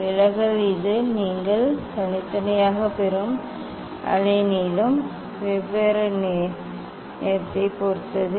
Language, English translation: Tamil, deviation it depends on the wavelength different colour you will get separately